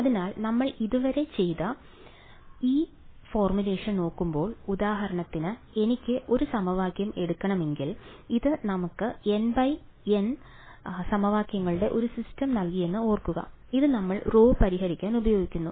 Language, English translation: Malayalam, So, looking at this formulation that we did so far right; so for example, if I wanted to take one equation so, remember this gave us a N cross N system of equations, which we use to solve for rho